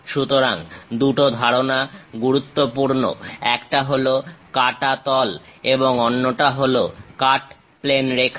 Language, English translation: Bengali, So, two concepts are important; one is cut plane, other one is cut plane line